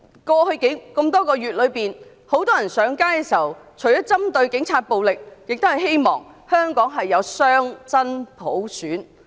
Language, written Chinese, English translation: Cantonese, 過去多個月以來，市民除了針對警暴而上街外，亦希望香港擁有真正的雙普選。, Over the past few months people have taken to the streets not only because of Police brutality but because they aspire to genuine dual universal suffrage in Hong Kong